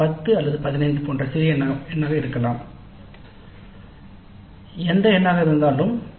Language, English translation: Tamil, It could be a small number like 10 or 15, whatever be the number